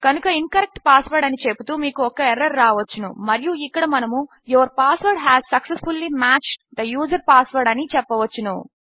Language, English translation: Telugu, So for example you can have an error saying incorrect password and here you can say your password has successfully matched the user password